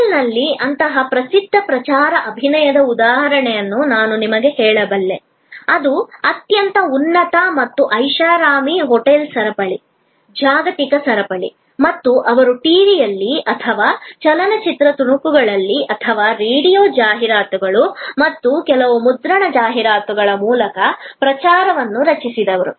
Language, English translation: Kannada, I can tell you the example of a very famous promotion campaign of a hotel, which is a very high and luxury hotel chain, global chain and they created a promotion campaign which showed on TV or in movie clips or through radio ads and some print ads